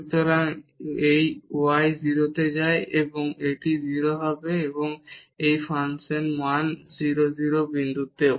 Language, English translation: Bengali, So, this y goes to 0 and this will be 0 and this is the function value also at 0 0 point